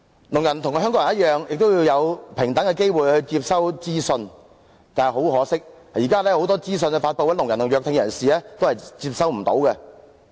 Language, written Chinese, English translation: Cantonese, 聾人與香港人一樣，都要有平等的機會去接收資訊，但很可惜，現時有很多資訊的發布，聾人及弱聽人士都接收不到。, Like other Hong Kong people deaf people should also enjoy equal opportunities of receiving information . Regrettably at present deaf people and persons with hearing impairment are unable to receive the information disseminated in many cases